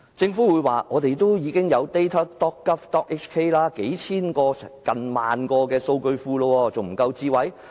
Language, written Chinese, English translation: Cantonese, 政府會說，我們已經有 <data.gov.hk>， 有數千個或接近1萬個數據庫，這還不夠"智慧"嗎？, The Government would say that we already have datagovhk as well as thousands or nearly 10 000 databases so is this not smart enough?